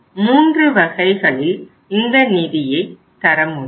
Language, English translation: Tamil, There are the 3 modes of providing the funds